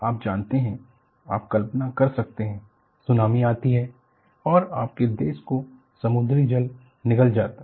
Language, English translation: Hindi, You know, you can imagine, tsunami comes and you have sea water engulfs the country